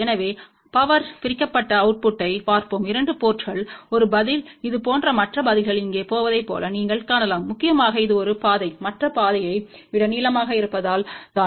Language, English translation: Tamil, So, let us see the power divided output at the 2 ports, you can see that one response is going like this other response is going over here, and this is the reason mainly because one path is longer than the other path